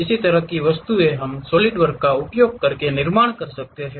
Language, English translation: Hindi, That kind of objects we can construct it using Solidworks